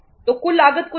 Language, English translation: Hindi, So look at the total cost